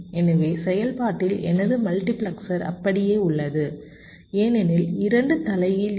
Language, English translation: Tamil, so functionally my multiplexer remains the same because there will be two inversions